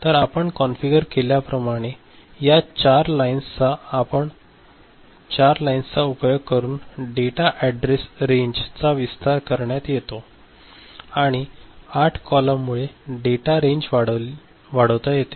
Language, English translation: Marathi, So, 4 such rows which is expanding the data address range the way we have configured it and 8 such columns increasing the data range